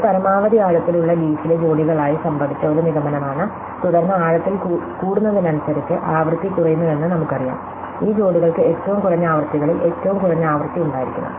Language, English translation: Malayalam, And so this is a conclusion in that leaves of maximum depth occurred in pairs and then we know that because frequencies keep of dropping as we go down increasing in depth, these pairs must have the lowest frequency, among the lowest frequencies